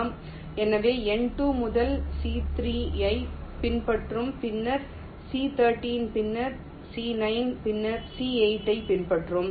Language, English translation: Tamil, so n two will be following first c three, then c thirteen, then c nine, then c eight, then n three